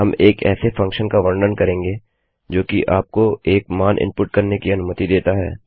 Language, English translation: Hindi, We will deal with a function that allows you to input a value